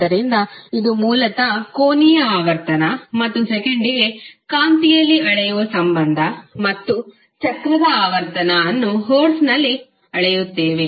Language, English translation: Kannada, So, this is basically the relationship between angular frequency that is measured in radiance per second and your cyclic frequency that is measured in hertz